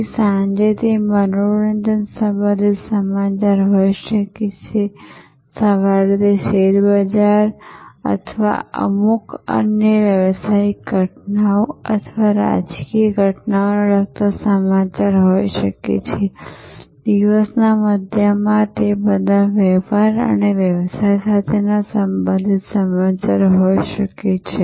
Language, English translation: Gujarati, So, the evening it maybe news related to entertainment, in the morning it may be news related to the stock market or certain other business happenings or political happenings, in the middle of the day it could be all related to trade and business